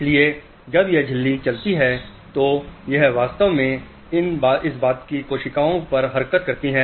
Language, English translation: Hindi, So, when this membrane moves, it actually impinges on these hair cells